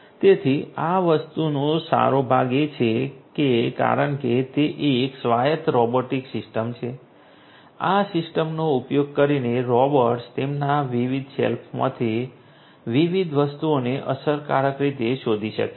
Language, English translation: Gujarati, So, the good part of this thing is that because it is an autonomous robotic system you know using this system the robots can efficiently locate and search different items from their different shelves